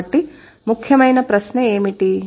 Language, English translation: Telugu, So what is the central question